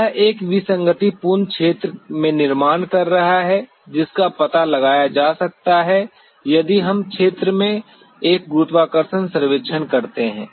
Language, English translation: Hindi, It is creating in an anomalous area which can be detected if we do a gravity survey in the area